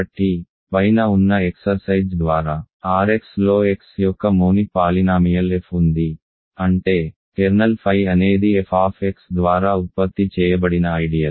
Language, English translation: Telugu, So, by the exercise above there is a monic polynomial f of x in R x such that kernel phi is the ideal generated by f of x